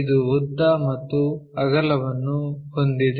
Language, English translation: Kannada, It has length, it has breadth